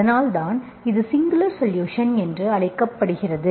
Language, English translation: Tamil, So that is why it is called singular solution